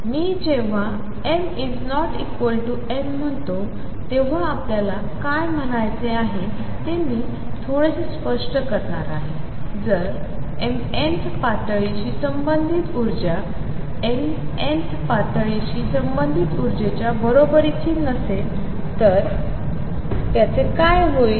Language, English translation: Marathi, I am going to explain in a bit what we mean when we say m is not equal to n, what it would amount 2 is that if the energy relate energy related to mth level is not equal to energy related to nth level